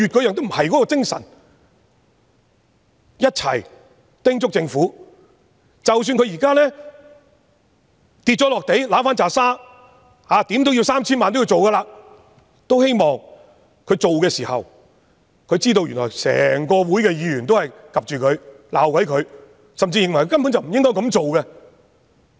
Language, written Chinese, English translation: Cantonese, 請大家一起叮囑政府，即使政府現在"跌落地揦返拃沙"，花 3,000 萬元也要推行，也希望政府推行的時候，知道受到整個議會的議員監察和批評，甚至認為根本不應該這樣做。, Please come together to advise the Government that even if it now intends to implement the Rules despite a 30 million cost because it is making up a lame excuse to avoid eating humble pie we hope it knows that the implementation will be monitored and criticized by all Members of this Council who even hold that the Rules should not be implemented at all